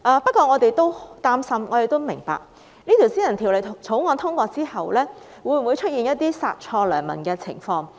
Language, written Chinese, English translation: Cantonese, 不過，我們擔心一旦通過《條例草案》，會否出現"殺錯良民"的情況？, However I am worried that some people may be inadvertently caught by the law once the Bill is passed